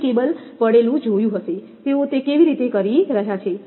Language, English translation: Gujarati, You might have seen the cable lying, how they are doing it